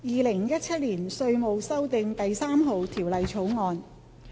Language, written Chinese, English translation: Cantonese, 《2017年稅務條例草案》。, Inland Revenue Amendment No . 3 Bill 2017